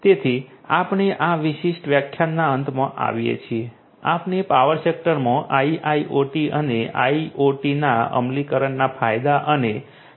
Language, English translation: Gujarati, So, we come to the end of this particular lecture, we have seen highlights of the benefits and features of implementation of IIoT and IoT in the power sector